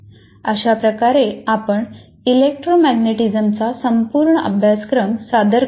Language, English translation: Marathi, This is complete course on electromagnetism